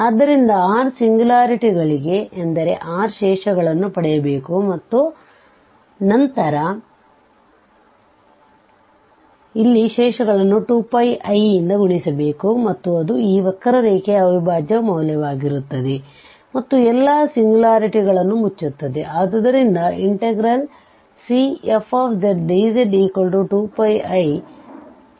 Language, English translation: Kannada, So, we have r singularities that means we have to get these r residues and then we have to sum here these residues multiply by 2 Pi i and that will be the integral value over this curve and closes all these singularities